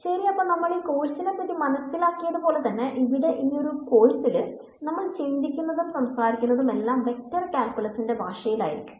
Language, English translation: Malayalam, So, as we will find out in this course the whole language in which this course is thought or spoken is the language of Vector Calculus